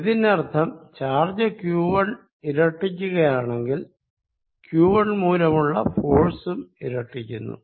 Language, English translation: Malayalam, What it also means is, if charge Q1 is doubled force due to Q1 also gets doubled